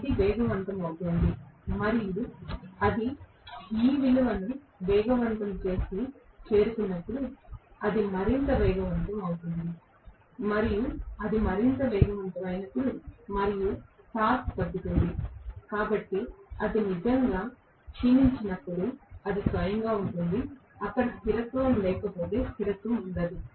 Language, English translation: Telugu, It is accelerating and the moment it accelerates and reaches this value it will accelerate further and when it accelerates further and the torque is decreasing, so when it is not really fading into it is own self that is where stability is otherwise there will not be stability